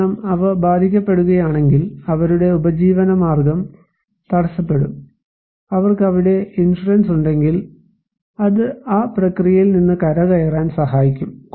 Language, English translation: Malayalam, Because if they are impacted, their livelihood would be hampered, and if they have insurance back there that can help them to recover from that process